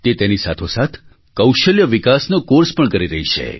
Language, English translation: Gujarati, Along with this, they are undergoing a training course in skill development